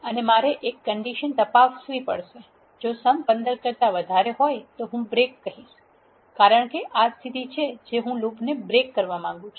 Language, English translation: Gujarati, And I have to check a condition if the sum is greater than 15 I will say break because this is the condition which I want to break the loop